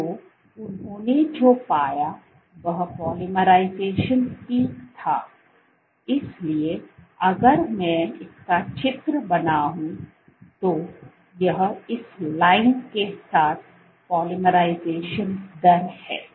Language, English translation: Hindi, So, what they found was the polymerization peak, so let me draw with this if you if, this is the polymerization rate along this line